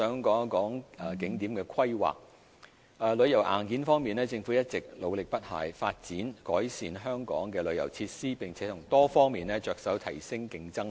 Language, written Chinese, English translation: Cantonese, 景點規劃在旅遊硬件方面，政府一直努力不懈，發展和改善香港的旅遊設施，並從多方面着手提升競爭力。, Planning of tourist attractions Regarding tourism hardware the Government has spared no effort in developing and enhancing the tourism facilities of Hong Kong as well as increasing its competitiveness by various means